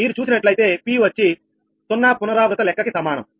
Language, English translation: Telugu, if you see, p is equal to zero iteration count